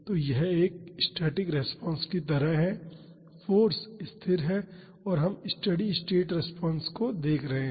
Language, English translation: Hindi, So, this is like a static response, the force is constant and we are looking at the steady state response